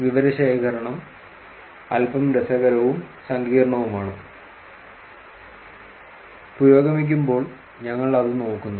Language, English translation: Malayalam, The data collection is slightly interesting and complicated also; we look at actually as we progress